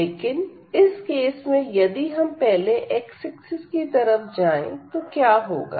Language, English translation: Hindi, So, in this direction if we take the integral first in the direction of x what will happen